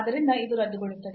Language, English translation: Kannada, So, this will get cancelled